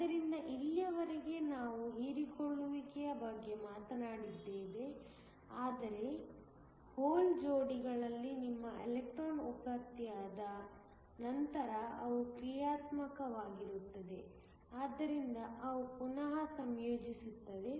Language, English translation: Kannada, So, so far we have talked about absorption, but once your electron in hole pairs are generated these are dynamic so they tend to recombine